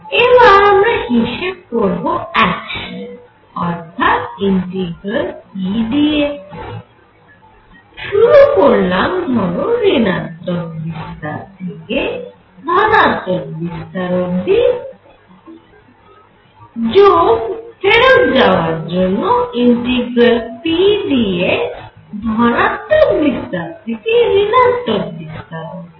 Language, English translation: Bengali, And what I want to calculate is p action is going to be integral p dx from starts form let us say the minus the amplitude to plus the amplitude minus A to plus A and then back plus integral p dx A to minus A that would be complete integral over one period